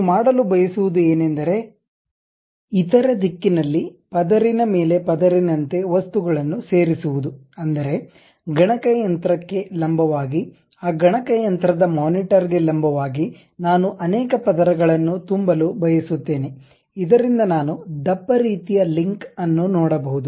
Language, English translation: Kannada, What I want to do is add material the similar kind of material like layer by layer in the other direction; that means, perpendicular to the computer normal to that computer monitor, I would like to fill many layers, so that a thick kind of link I would like to see